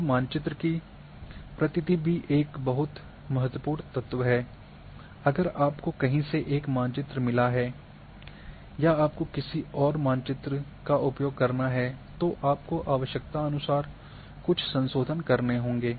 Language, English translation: Hindi, Now map credit's is another important thing if you have got map from somewhere or use somebodies map modifieded accordingly